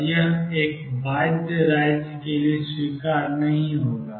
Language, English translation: Hindi, And that would not be acceptable for a bound state